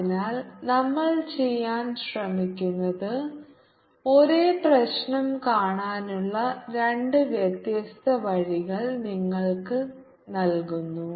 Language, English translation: Malayalam, so what we try to do is give you two different ways of looking at the same problem